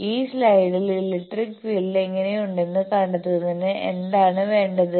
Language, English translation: Malayalam, What that you need to find out how the electric field look like in this slide